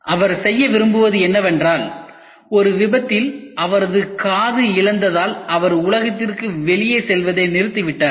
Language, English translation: Tamil, All he wants to do is, because of this losing of his ear in an accident he has stopped moving outside world